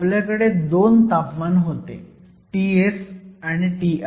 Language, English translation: Marathi, So, we had two temperatures T s and T i